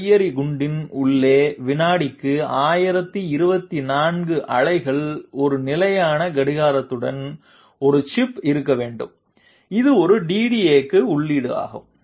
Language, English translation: Tamil, Inside the grenade, there is to be a chip with a fixed clock at 1024 pulses per second, which is input to a DDA